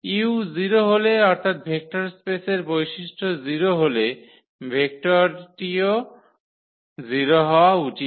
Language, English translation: Bengali, So, 0 into u that is a property of the vector space this should be 0 vector then